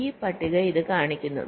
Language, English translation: Malayalam, so this table shows this